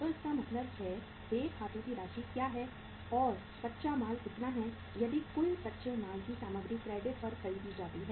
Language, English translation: Hindi, So it means the what is the amount of the accounts payable and what is the raw material if the say uh the total raw material is purchased on the credit